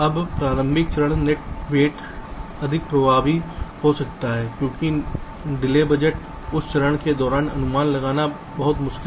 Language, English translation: Hindi, the initial stage is net weights can be more effective because delay budgets are very difficult to to estimate during that stage